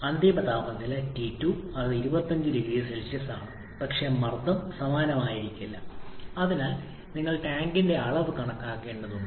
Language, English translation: Malayalam, And the final temperature T2 that is the same which is 25 degrees Celsius but pressure may not be same so you have to calculate the volume of the tank